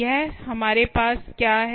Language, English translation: Hindi, what did we put